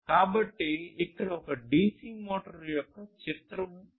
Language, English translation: Telugu, So, here is the picture of a dc motor